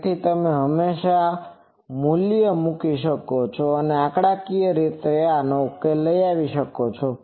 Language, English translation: Gujarati, So, you can always put the value and numerically solve it